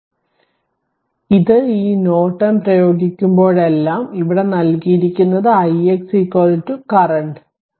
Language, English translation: Malayalam, So, whenever you apply this your this Norton, then your you have to find out that here it is given i x is equal to you got ampere